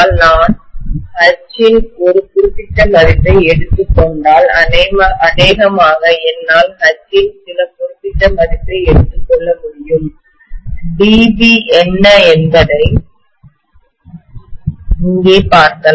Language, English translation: Tamil, If I take a particular value of H, probably I can just take some particular value of H, I can look at what is DB here